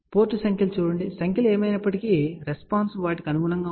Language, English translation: Telugu, So, look at the port numbers, ok whatever the numbers are there the response will be corresponding to that